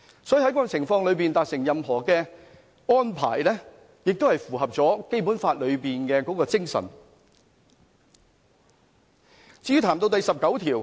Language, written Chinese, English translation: Cantonese, 所以，在這樣的情況下達成的任何安排，亦符合《基本法》裏面的精神。, Therefore any arrangement finalized under such circumstances will conform to the spirits of the Basic Law